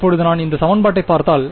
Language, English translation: Tamil, Now, if I look at this equation